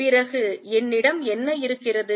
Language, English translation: Tamil, Then what do I have